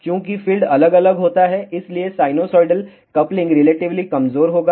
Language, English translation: Hindi, Since field is varying sinosoidally coupling will be relatively weak